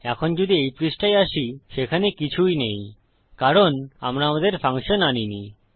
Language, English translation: Bengali, Now, if we enter this page, there is nothing, because we havent called our function